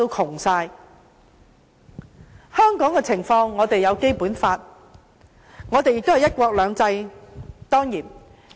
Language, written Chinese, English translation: Cantonese, 至於香港的情況，我們有《基本法》，當然亦有"一國兩制"。, As for the situation in Hong Kong we have the Basic Law and certainly we have one country two systems